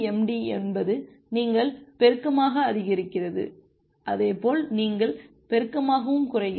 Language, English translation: Tamil, MIMD is you increase multiplicatively as well as you decrease multiplicatively